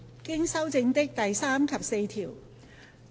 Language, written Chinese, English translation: Cantonese, 經修正的第3及4條。, Clauses 3 and 4 as amended